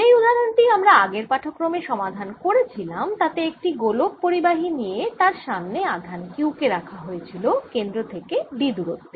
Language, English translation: Bengali, the example we solve in the previous lecture was: taken a conducting sphere and put charge q at a distance d from it centre